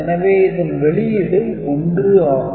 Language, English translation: Tamil, So, output will be 1